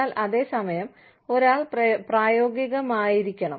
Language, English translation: Malayalam, So, but at the same time, one has to be practical